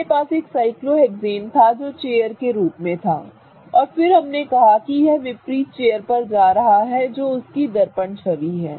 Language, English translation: Hindi, To begin with we had a cyclohexane which was in the chair form and then we said that it's going to go to this opposite chair which is the mirror image of the same chair